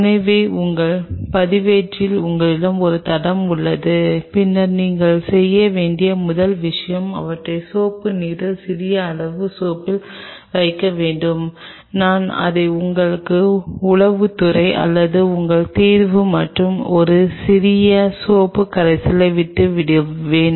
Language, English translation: Tamil, So, that you have a track in your register and then the first thing you should do you should put them in soap water small amount of soap just I will leave it to your intelligence or to your judgment and a small little soap solution soak them